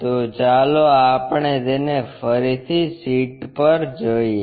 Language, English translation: Gujarati, So, let us do it on the sheet once again